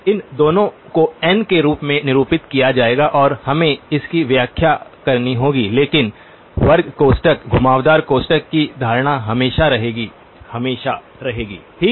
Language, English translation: Hindi, Both of them will be denoted as n and we have to interpret it in of them but the notation of square brackets, curved brackets will always be, will always be retained okay